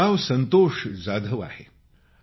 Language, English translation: Marathi, My name is Santosh Jadhav